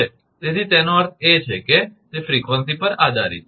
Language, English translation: Gujarati, So, that it I mean it depends on the frequency